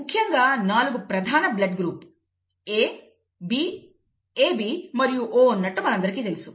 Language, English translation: Telugu, We know that there are 4 major blood groups, what, A, B, AB and O, right